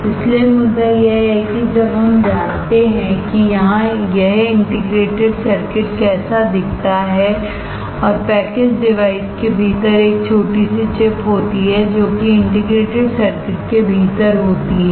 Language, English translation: Hindi, So, the point is once we know that this is how the integrated circuit looks like and there is a small chip within the package device, which is the within the integrated circuit etc